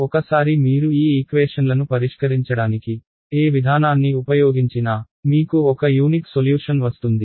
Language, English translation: Telugu, Once you do that you are guaranteed that whatever procedure you use for solving these equations, we will give you a unique solution